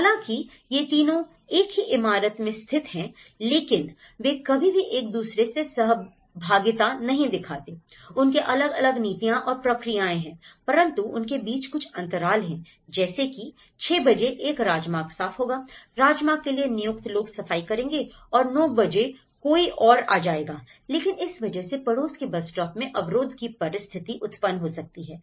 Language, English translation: Hindi, So, these 3 are situated in the same building but they never interact, so they have different policies and procedures for each of them but they have some gaps in that 6 o'clock one highway will clean, highway people, will clean and at 9 o'clock someone else will come but it will cause the barrier for the neighbourhoods to come into the bus stop